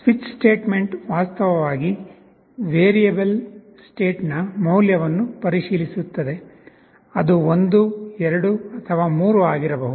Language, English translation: Kannada, There is a switch statement, which actually checks the value of variable “state”, it can be either 1, 2, or 3